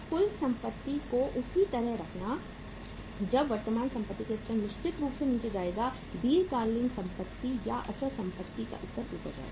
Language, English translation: Hindi, Keeping the total assets same when the level of current assets will go down certainly the level of long term asset or the fixed assets will go up